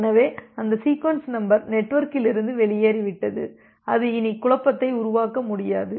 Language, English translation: Tamil, So, that sequence number is out from the network and that cannot create a confusion anymore